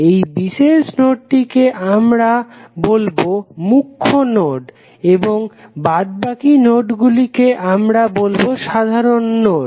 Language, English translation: Bengali, This particular node would be called as principal node and rest of the other nodes would be called as a simple node